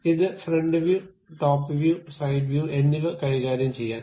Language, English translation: Malayalam, It is nothing to deal with front view, top view and side view